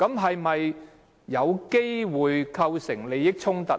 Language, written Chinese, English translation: Cantonese, 是否有機會構成利益衝突？, Is there any chance that a conflict of interests may arise?